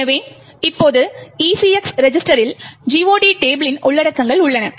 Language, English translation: Tamil, So, now the ECX register has the contents of the GOT table